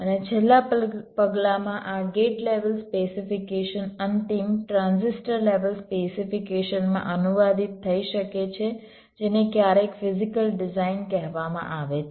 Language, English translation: Gujarati, and in the last step, this gate level specification might get translated to the final transistor level specification, which is sometimes called physical design